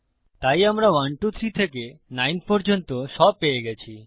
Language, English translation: Bengali, OK, weve got 1 2 3 all the way up to 9